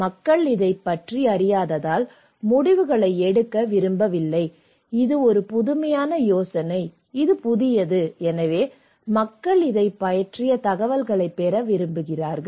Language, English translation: Tamil, People do not want to make decisions because they do not know about this one, this is an innovative idea, this is the new, so people want to get information about this one